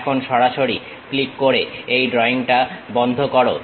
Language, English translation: Bengali, Now, close this drawing by straight away clicking